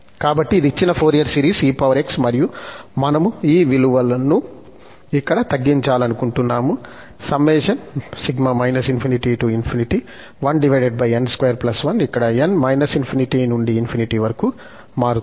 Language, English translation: Telugu, So, that is given Fourier series of e power x, and we want to deduce this value here of the summation 1 over n square plus 1, where n is from minus infinity to plus infinity